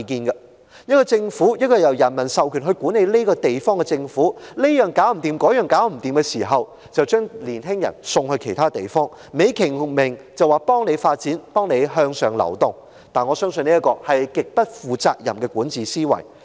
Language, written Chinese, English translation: Cantonese, 一個政府，一個由人民授權管治這個地方的政府，這樣做不來，那樣也做不好，卻把年青人送到其他地方，還美其名是幫助他們發展、向上流動，我相信這是極不負責任的管治思維。, If a government mandated by the people to govern this place is unable to do this and that but instead sends young people to other places on a fine - sounding reason of assisting their development and upward mobility I consider such governance mentality extremely irresponsible